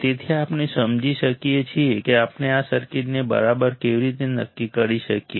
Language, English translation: Gujarati, So, we can understand how we can decide this circuits alright